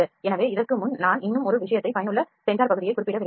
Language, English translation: Tamil, So, before this I like to mention one more thing effective sensor area